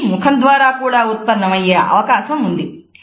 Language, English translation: Telugu, They may also be produced by face